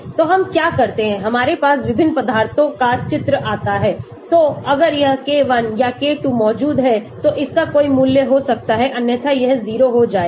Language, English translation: Hindi, so what we do we have say different substituents coming into the picture so if it is present K1 or K2 can have a value otherwise it will become 0